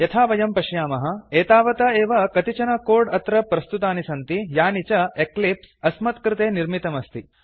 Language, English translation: Sanskrit, As we can see, there is already some code, Eclipse has generated for us